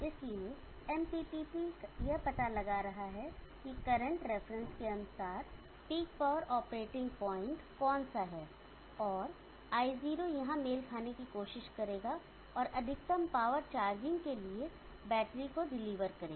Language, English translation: Hindi, So the MPPT is finding out which the peak power operating point accordingly the current reference is being set, and I0 here will try to match it, and maximum power will deliver to the battery for charging